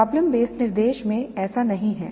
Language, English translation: Hindi, That is not so in problem based instruction